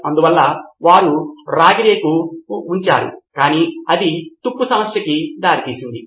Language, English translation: Telugu, So that is why they had a copper sheet but problem was that it led to corrosion